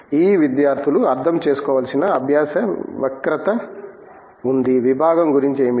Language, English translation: Telugu, There is a learning curve that these students have to understand, what the department is about